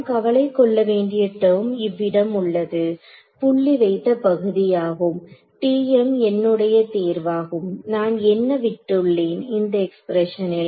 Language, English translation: Tamil, So, the kind of term we have to worry about is here is dotted part over here TM is anyway going to be my choice what am I left with is this expression right